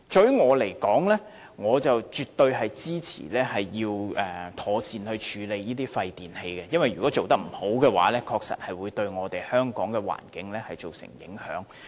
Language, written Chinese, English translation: Cantonese, 於我而言，我絕對支持應妥善處理廢電器，因為如果未能妥善處理，確實會對香港的環境造成影響。, To me I fully support the proper handling of e - waste for failure to ensure proper disposal will certainly affect the environment in Hong Kong